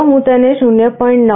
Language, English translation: Gujarati, Let me change it to 0